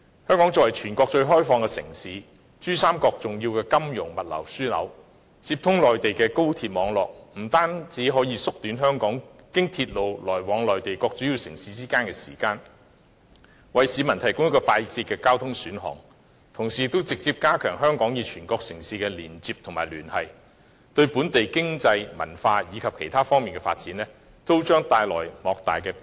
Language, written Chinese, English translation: Cantonese, 香港作為全國最開放的城市，珠江三角洲重要的金融和物流樞紐，接通內地的高鐵網絡，不單可以縮短經鐵路來往香港和內地各主要城市的時間，為市民提供一個快捷的交通選項，同時也直接加強香港與全國城市的連接及聯繫，對本地經濟、文化及其他方面的發展將帶來莫大的裨益。, As the most open city in the country and an important financial and logistics hub in the Pearl River Delta Hong Kongs connection to the Mainlands high - speed rail network not only shortens the time required to travel by railway between Hong Kong and major cities in the Mainland but also provides members of the public with a speedy mode of transport . This can also directly strengthen Hong Kongs connection and contacts with cities across the country bringing great benefits to the development of the local economy and culture as well as our development in other aspects